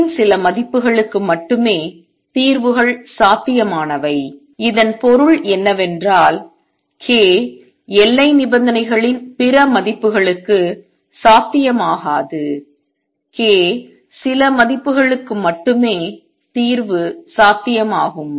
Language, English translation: Tamil, Only for certain values of k are the solutions possible what does that means, the fix solution is possible only for certain values k for other values of k boundary conditions are not satisfied